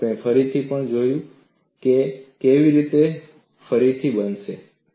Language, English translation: Gujarati, You would also look at again how this could be recast